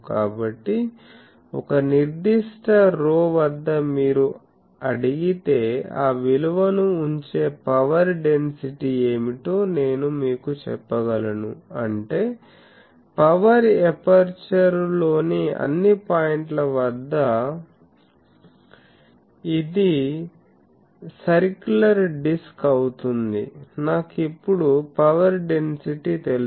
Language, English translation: Telugu, So, at a particular rho if you ask me that what is the power density putting that value I can tell you; that means, at all points on the power aperture, which is a circular disc I now know the power density